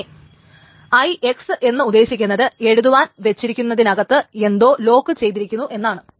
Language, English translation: Malayalam, And then IX meaning there is something inside is locked for writing